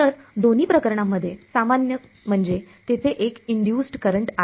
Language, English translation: Marathi, So, in both cases what is common is that there is an induced current right